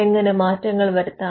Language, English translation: Malayalam, How to make changes